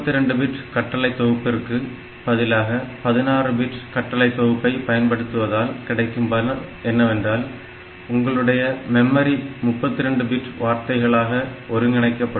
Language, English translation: Tamil, So, the major advantage that you gain, by having a 16 bit instruction set over a 32 bit is that, your memory is organized as 32 bit word